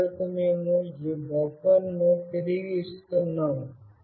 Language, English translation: Telugu, And finally, we are returning this buffer